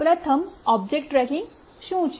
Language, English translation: Gujarati, Firstly, what is object tracking